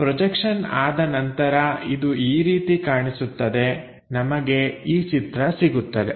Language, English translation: Kannada, So, it looks like after projection we will have this picture